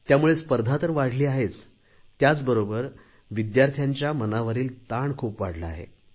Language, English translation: Marathi, As a result, the competition has multiplied leading to a very high increase of stress in the students also